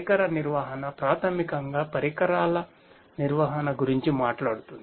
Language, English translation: Telugu, Device management basically talks about managing the devices; managing the devices